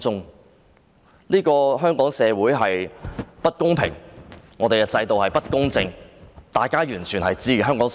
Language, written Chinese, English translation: Cantonese, 對於香港社會的不公平、制度的不公正，香港市民了然於心。, The people of Hong Kong noted in their heart the unfairness in Hong Kong society and the partiality of the system